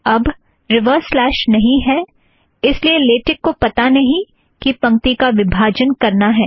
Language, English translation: Hindi, Now these reverse slashes are no longer there, so latex does not know that it has to break the line there